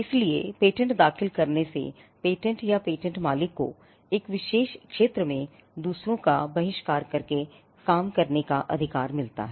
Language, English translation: Hindi, So, filing a patent gives the patentee or the patent owner, the right to work in a particular sphere to the exclusion of others